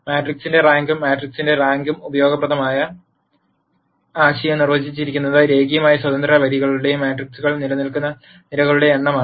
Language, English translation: Malayalam, The concept that is useful is the rank of the matrix and the rank of the matrix is de ned as the number of linearly independent rows or columns that exist in the matrix